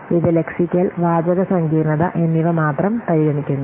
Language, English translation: Malayalam, The lexical and the textual complexity only